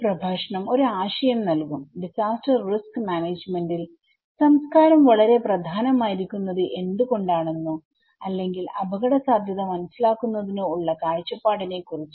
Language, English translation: Malayalam, This lecture would provide an idea, the kind of perspective about why culture is so important in disaster risk management or understanding risk perception also, we will look into what is the meaning of culture, why culture exists in society